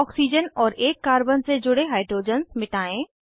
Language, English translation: Hindi, Delete hydrogens attached to one of the oxygen and Carbon